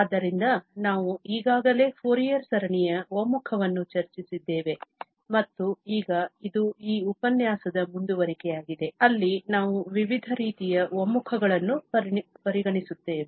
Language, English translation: Kannada, So, we have already discussed the convergence of Fourier series and now this is a continuation of that lecture, where we will consider different kind of convergences